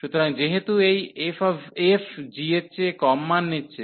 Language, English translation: Bengali, So, since this f is taking the lower values than the g